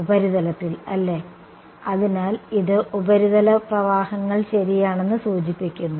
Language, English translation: Malayalam, surface right; so, this implies surface currents right